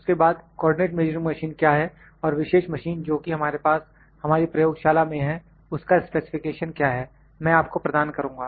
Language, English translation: Hindi, Then what is co ordinate measuring machine and specification of this machine the particular machine that we have in our lab that I will give you